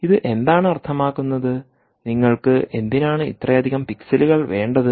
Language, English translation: Malayalam, why do you need so many pixels